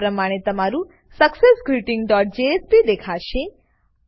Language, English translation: Gujarati, This is how your successGreeting dot jsp will look